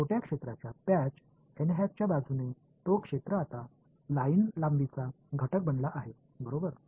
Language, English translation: Marathi, Along n hat in a small area patch that area has now become line length element right